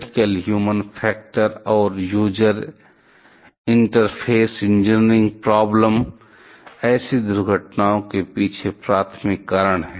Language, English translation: Hindi, Critical human factor and user interface engineering problems, where the primary reasons behind such an accident